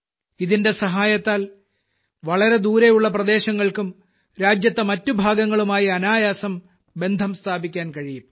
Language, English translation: Malayalam, With the help of this, even the remotest areas will be more easily connected with the rest of the country